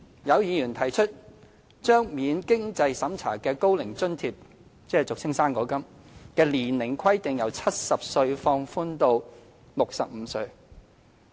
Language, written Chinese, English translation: Cantonese, 有議員提出把免經濟審查的高齡津貼的年齡下限由70歲放寬至65歲。, Some Members suggested that the minimum age limit for receiving the non - means - tested Old Age Allowance should be relaxed being lowered from 70 to 65